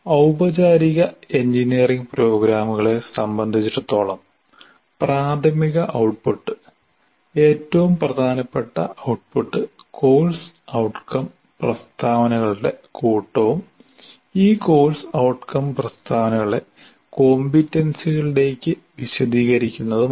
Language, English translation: Malayalam, As far as engineering courses, formal engineering programs are concerned, the primary output, the most significant output is the set of course outcome statements and elaborating this course outcome statements into competencies